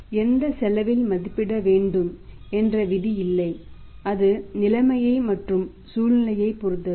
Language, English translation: Tamil, As such there is no rule that at which cost should be valued it depends upon the situation and circumstance is available